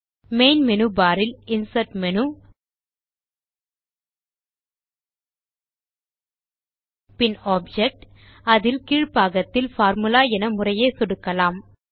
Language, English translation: Tamil, Let us click on the Insert menu on the main menu bar, and then Object which is toward the bottom and then click on Formula